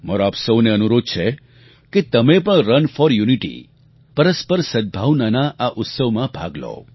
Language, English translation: Gujarati, I urge you to participate in Run for Unity, the festival of mutual harmony